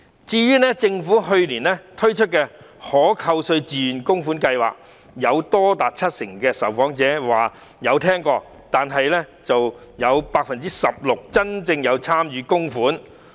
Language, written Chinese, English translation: Cantonese, 至於政府去年推出的可扣稅自願供款計劃，多達七成的受訪者表示曾經聽聞，但只有 16% 的受訪者真正參與供款。, As for the tax deductible voluntary contribution scheme launched by the Government last year as many as 70 % of the respondents indicated that they have heard of the scheme but merely 16 % of the respondents have actually made contributions